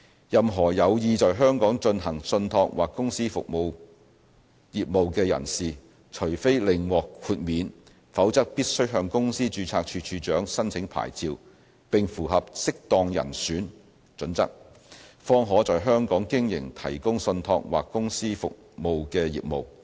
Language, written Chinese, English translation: Cantonese, 任何有意在香港進行信託或公司服務業務的人士，除非另獲豁免，否則必須向公司註冊處處長申請牌照並符合"適當人選"準則，方可在香港經營提供信託或公司服務的業務。, Anyone who intends to engage in trust or company services as a business in Hong Kong must unless an exemption is otherwise granted to them apply for a licence from the Registrar of Companies and satisfy a fit - and - proper test before they can provide trust or company services as a business in Hong Kong